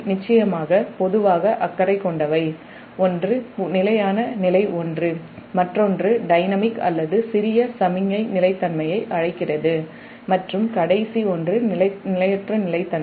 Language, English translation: Tamil, one is steady state, one another one, dynamic, are called small signal stability and last one is that transient stability